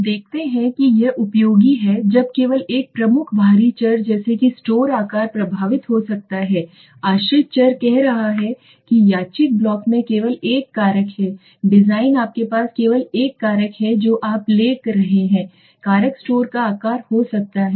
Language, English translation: Hindi, Let us see it is useful when only one major external variable such as store size might influence the dependent variable now what it is saying there is only one factor in the randomized block design you have only one factor you are taking let us say the factor could be Store size